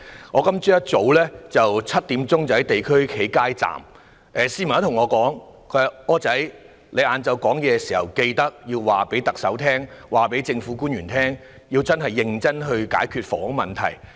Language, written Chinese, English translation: Cantonese, 我今天早上7時在地區街站工作時，便有市民對我說："'柯仔'，你在下午發言時，定必要求特首和政府官員認真解決房屋問題。, While I was working at the street booth at 7col00 am this morning a member of the public said to me Wilson you must urge the Chief Executive and government officials to categorically resolve the housing problems when you speak this afternoon